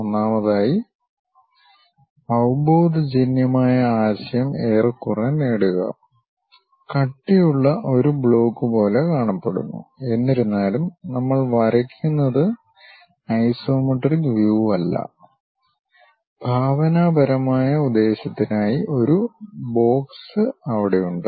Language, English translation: Malayalam, First of all, get more or less the intuitive idea, looks like a thick block though its not isometric view what we are drawing, but just for imaginative purpose there is something like a box is there